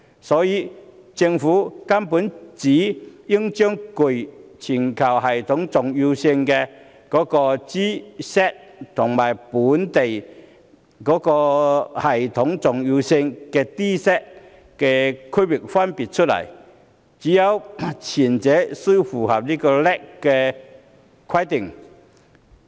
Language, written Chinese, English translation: Cantonese, 所以，政府根本應該把具全球系統重要性銀行和具本地系統重要性銀行區分出來，只有前者才須符合 LAC 的規定。, Hence the Government should separate global systemically important banks ie . G - SIBs from domestic systemically important banks ie . D - SIBs and only put the former under the LAC requirements